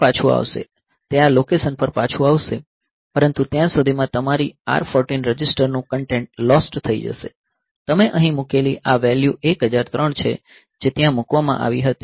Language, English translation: Gujarati, So, it will come back to this location, but by that time your R 14 register content is lost, so this value that you put here this 1003 that was put there